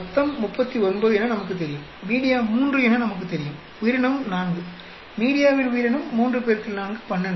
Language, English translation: Tamil, We know total 39, media we know 3, organism is 4, organism into media is 3 into 4, 12